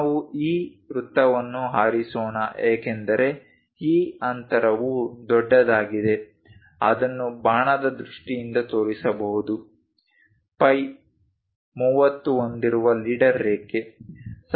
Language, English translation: Kannada, Let us pick this circle because this gap is large one can really show it in terms of arrow, a leader line with phi 30